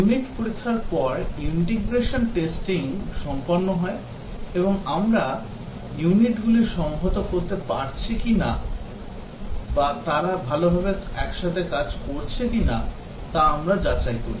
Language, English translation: Bengali, The integration testing is done after the unit testing and we check whether the units are integrating or they are working together well